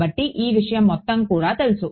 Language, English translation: Telugu, So, this whole thing is also known